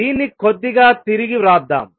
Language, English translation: Telugu, Let us rewrite this slightly